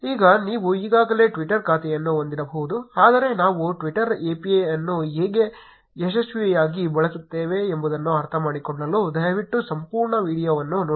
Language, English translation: Kannada, Now you may already have a twitter account, but please go through the entire video to understand how we successfully use the twitter API